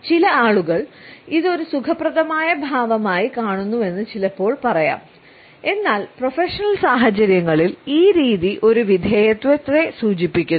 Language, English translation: Malayalam, Sometimes we can also say that some people find it a comfortable posture, but in professional situations we find that this type of a posture indicates a subservience